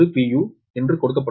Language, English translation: Tamil, u is equal to v